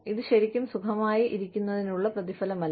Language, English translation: Malayalam, It is not really a reward for staying well